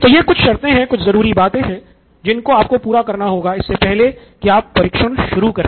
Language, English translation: Hindi, So these are some of the conditions that you need, things that you need before you can set out to test